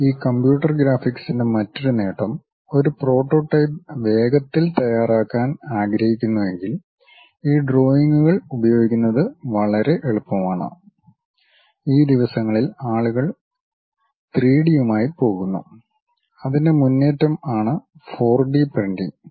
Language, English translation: Malayalam, The other advantage of these computer graphics is if one would like to quickly prepare a prototype it is quite easy to use these drawings; these days people are going with 3D and the advance is like 4D printing